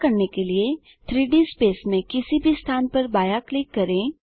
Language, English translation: Hindi, To do this, left click at any location in the 3D space